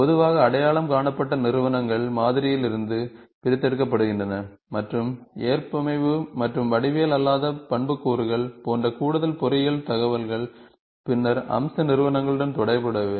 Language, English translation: Tamil, Usually identifying entities are extracted from the model and additional engineering information, such as tolerance and non geometric attributes, are then associated with the feature entity